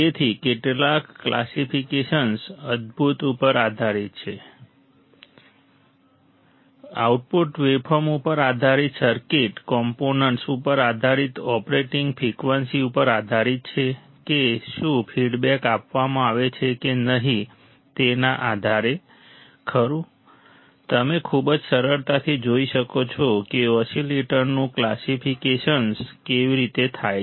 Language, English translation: Gujarati, So, some of the classifications are based on awesome, based on output waveform based on circuit components based on operating frequency based on whether feedback is provided or not, right, you can see very easily how the oscillators are classified